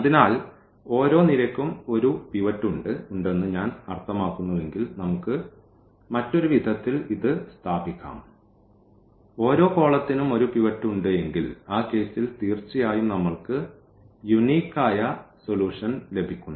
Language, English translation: Malayalam, So, if the number of I mean each column has a pivot we can in other way we can put it as that if each column as a pivot in that case the solution will be a unique solution